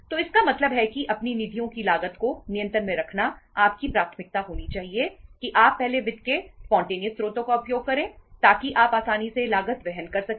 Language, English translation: Hindi, So it means to keep the cost of your funds under control your priority should be that you first use the spontaneous source of finance so that you can easily bear the cost